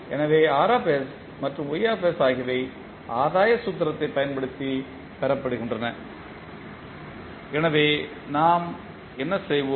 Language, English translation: Tamil, So, R and Ys is obtained by using the gain formula so what we will do